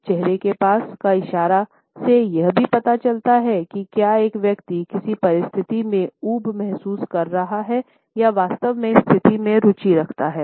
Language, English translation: Hindi, The hand to face gestures also suggests, whether a person is feeling bored in a given situation or is genuinely interested in the situation